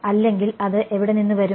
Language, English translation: Malayalam, Or it will come from where